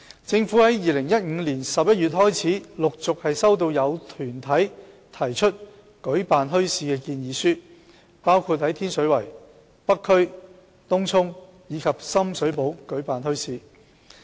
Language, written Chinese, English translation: Cantonese, 政府自2015年11月開始，陸續收到有團體提出舉辦墟市的建議書，包括在天水圍、北區、東涌及深水埗舉辦墟市。, Since November 2015 the Government has received proposals for running bazaars from organizations in succession including running bazaars in Tin Shui Wai North District Tung Chung and Shum Shui Po